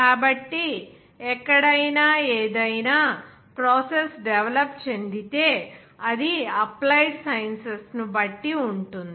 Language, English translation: Telugu, So, anywhere if any process is developed that will be depending on the applied sciences